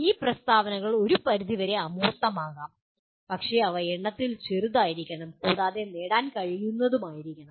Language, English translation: Malayalam, These statements can be abstract to some extent but must be smaller in number and must be achievable